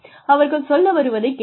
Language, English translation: Tamil, Listen to, what they say